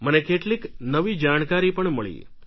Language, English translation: Gujarati, I got a lot of new information